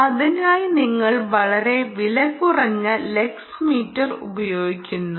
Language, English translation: Malayalam, for that you use a very cheap lux meter lux meter